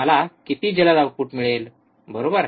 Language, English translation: Marathi, How fast I get the output, right